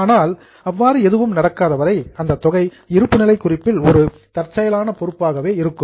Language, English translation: Tamil, But as long as nothing of that sort happens, it remains in the balance sheet as a contingent liability